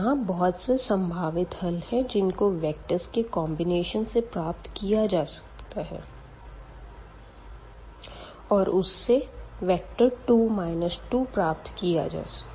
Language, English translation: Hindi, And, and there are infinitely many possibilities now to combine these two vectors to get this vector 2 and minus 2